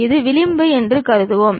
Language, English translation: Tamil, Let us consider this is the edge